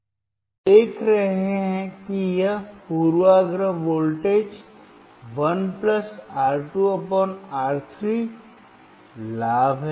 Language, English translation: Hindi, So, you see here this is bias voltage; 1+(R2/R3) is gain